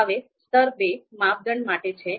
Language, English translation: Gujarati, Now level two is for criteria